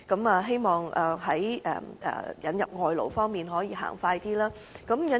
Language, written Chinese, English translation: Cantonese, 我希望政府在引入外勞方面可以盡快進行。, I hope the Government can expeditiously proceed with labour importation